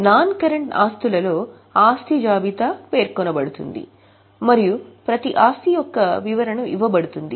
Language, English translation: Telugu, Overall within non current assets a list of asset is provided and then the description of each asset is given